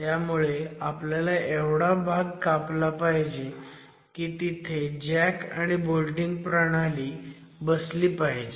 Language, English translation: Marathi, So, you need a cut sufficient enough to be able to insert the jack and the bolting mechanism